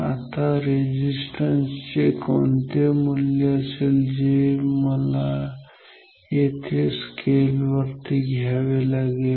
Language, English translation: Marathi, Now, what we will be the value of the resistance that I should put here on the scale